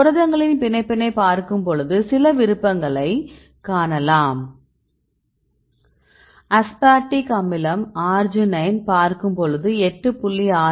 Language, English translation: Tamil, When you look into the binding partners you can see some preferences for example, you see aspartic acid arginine you can the highest value of 8